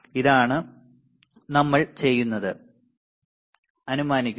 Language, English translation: Malayalam, This is what we have we are assuming